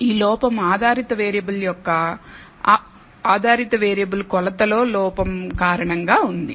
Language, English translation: Telugu, This error is due to error in the dependent variable measurement of the dependent variable